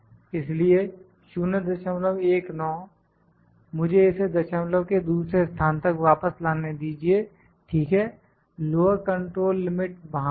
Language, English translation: Hindi, 219 so let me bring it back to the second place of decimal, ok, lower control limit is there